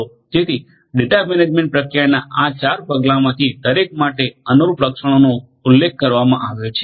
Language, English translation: Gujarati, So, for each of these 4 steps in the data management process the corresponding attributes the corresponding characteristics are mentioned